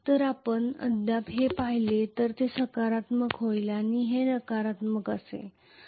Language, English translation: Marathi, So if you look at this still it will be positive and this will be negative